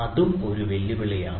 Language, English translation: Malayalam, there is also a challenge